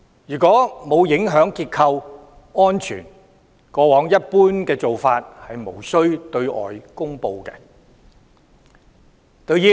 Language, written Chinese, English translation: Cantonese, 如果沒有影響結構安全，過往的一般做法是無需對外公布。, It was the normal practice in the past that such incidents would not be made public if structural safety was not affected